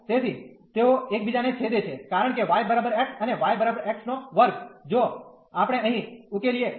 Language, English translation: Gujarati, So, they intersect because y is equal to x and y is equal to x square, if we solve here